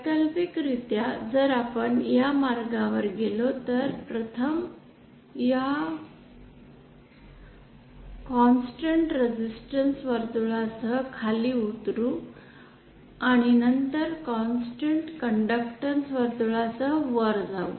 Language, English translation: Marathi, Alternatively if we go along this path where first we go down along a constant resistance circle, and then go up along a constant conductance circle